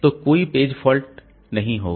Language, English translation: Hindi, So, these many page faults will be generated